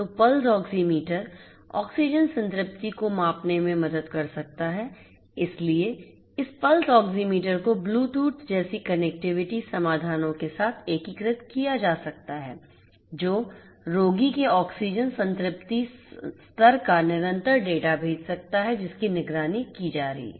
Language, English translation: Hindi, So, Pulse Oxiometry can help in measuring the oxygen saturation and you know so this Pulse Oxiometry could be integrated with connectivity solutions such as Bluetooth which can send continuously the data of the oxygen saturation level of the patient who is being monitored